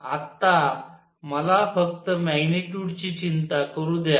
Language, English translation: Marathi, Right Now let me just worry about the magnitude